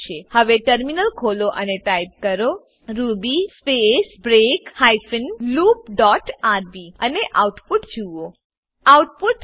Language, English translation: Gujarati, Now open the terminal and type ruby space break hyphen loop dot rb and see the output